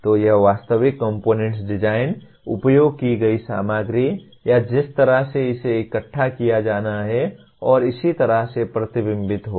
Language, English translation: Hindi, So it will get reflected in the actual component design, the materials used, or the way it has to be assembled and so on